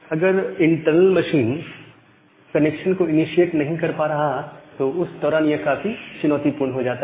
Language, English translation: Hindi, But if the internal machine is not initiating the connection, during that time the life is difficult